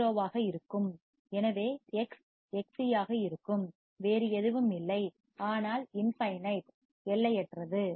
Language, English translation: Tamil, So, X would be Xc, would be nothing but infinite